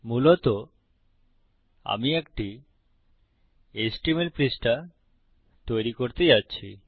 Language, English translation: Bengali, Basically,Im going to create an HTML page